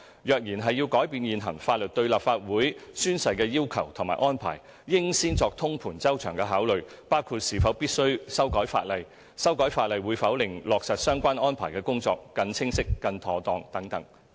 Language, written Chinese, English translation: Cantonese, 若然要改變現行法律對立法會宣誓的要求和安排，應先作通盤周詳的考慮，包括是否必須修改法例、修改法例會否令落實相關安排的工作更清晰、更妥當等。, If there is a need to change the requirements and arrangements under the existing law for oath taking by the Legislative Council Members comprehensive and holistic consideration should first be given to aspects including whether it is necessary to amend the law and whether the work for implementing the relevant arrangements will be made more clearly and effectively by legislative amendments etc